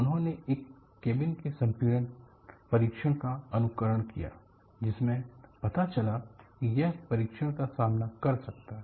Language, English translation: Hindi, They simulated decompression test of a cabinwhich showed that it could withstand the test